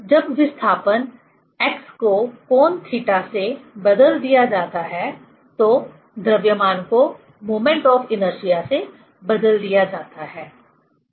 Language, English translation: Hindi, When displacement, x is replaced by angle theta, then mass is replaced by the moment of inertia, right